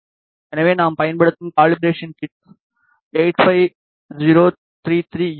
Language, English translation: Tamil, So, the calibration kit that we are using is 85033E